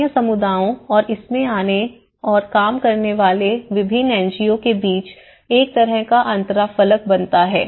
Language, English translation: Hindi, Become a kind of interface between the local communities and the various NGOs coming and working in it